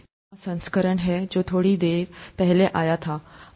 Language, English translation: Hindi, This is the seventh edition which came out a while ago